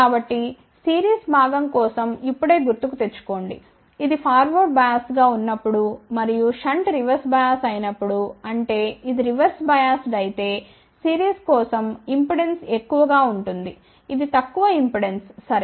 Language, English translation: Telugu, So, just recall now for the series component, when that is forward biased and the shunt is reverse bias; that means, if it is reverse biased impedance will be high for series, it will be low impedance ok